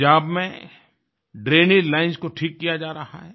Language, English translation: Hindi, The drainage lines are being fixed in Punjab